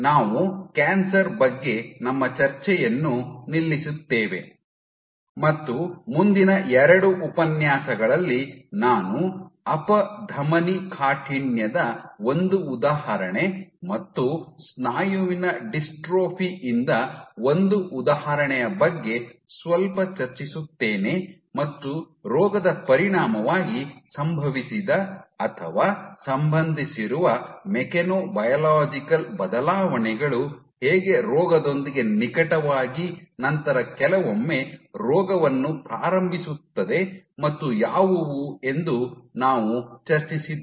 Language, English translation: Kannada, With that I stop here we stop our discussion about cancer from in the next 2 lectures I will discuss little bit about one example of atherosclerosis and one example from in mustard dystrophy and we discussed how, again what are the mechanobiological changes which have occurred as a consequence of the disease or are associated closely with the disease then sometimes drive the disease